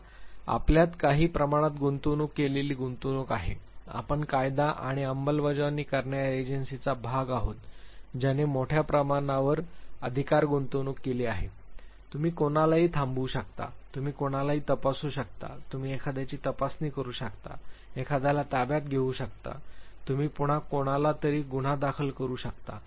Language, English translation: Marathi, Now, you have certain degree of authority invested in you, you are part of a law and enforcement agency which has invested great deal of authority; you can stop anybody, you can check anybody, you can examine somebody, you can take somebody in to custody, you can file case again somebody